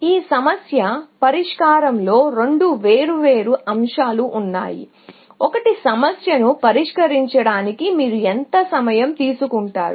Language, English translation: Telugu, So, these are the two different aspects of problem solving; one is, how long do you take to solve the problem